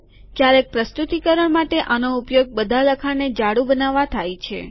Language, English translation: Gujarati, For presentations sometimes it is useful to make all the lettering bold